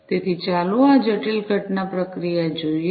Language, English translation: Gujarati, So, let us look at this complex event processing